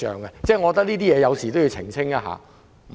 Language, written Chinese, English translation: Cantonese, 我覺得這方面需要澄清。, I think a clarification is needed in this regard